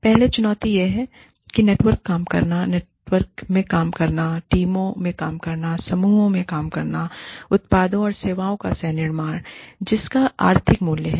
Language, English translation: Hindi, The first challenge is, that networked working, working in networks, working in teams, working in groups, is the co creation of products and services, that have economic value